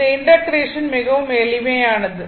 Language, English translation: Tamil, This integration is very simple